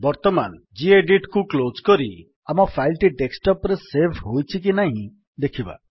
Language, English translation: Odia, Lets close this gedit now and check whether our file is saved on desktop or not